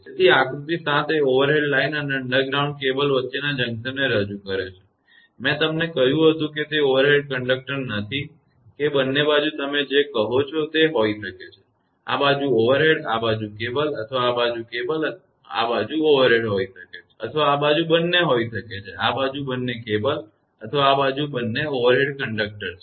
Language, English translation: Gujarati, So, figure 7 might represent the junction between an overhead line and an underground cable; that I told you, it is not overhead conductor either side may be your what you call; may be this side overhead, this side cable or this side cable this side overhead or may be two this side; this side both are cable or both are overhead conductor